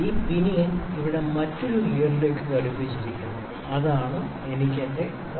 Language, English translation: Malayalam, And this pinion is attached to another gear here, which is this one and I have my pointer P1 here